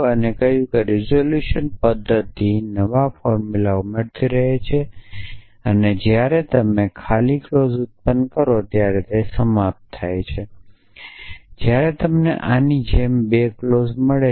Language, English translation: Gujarati, And said that the resolution method keeps adding new formulas and it terminates when you generate the empty clause when you find 2 clauses like this